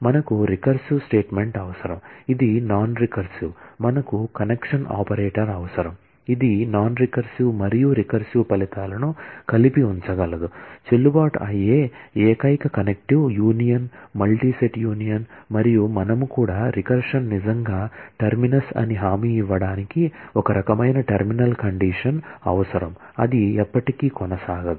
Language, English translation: Telugu, we need a recursive statement, which can recur, we need a connection operator, which can connect the non recursive and the recursive results together put them together, the only connective that is valid is union, all that is multi set union and we also need some kind of a terminal condition to guarantee that the recursion really a terminus, it does not go on forever